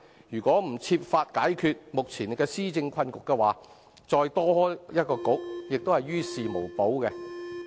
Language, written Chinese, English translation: Cantonese, 如果不設法解決目前的施政困局，再增設一個政策局也是於事無補。, If no measure is made to resolve the present predicament in governance setting up one more Policy Bureau is still of no avail